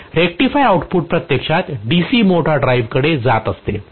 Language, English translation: Marathi, So the rectifier output actually is going to the DC motor drive